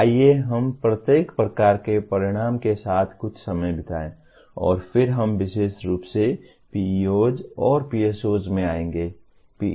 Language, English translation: Hindi, Let us briefly spend some time with each type of outcome and then we will more specifically come to PEOs and PSOs